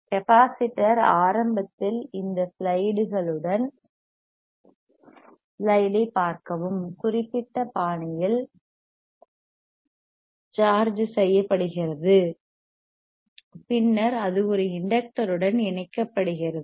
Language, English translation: Tamil, Capacitor is charged initially with plates in this particular fashion right, then it is connected to an inductor